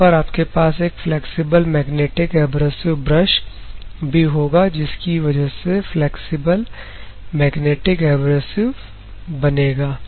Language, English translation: Hindi, One is static flexible magnetic abrasive brush; another one is pulsating flexible magnetic abrasive brush